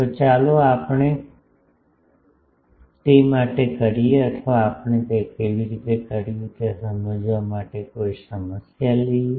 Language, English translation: Gujarati, So, let us do it for that or let us take a problem to underscore how we do it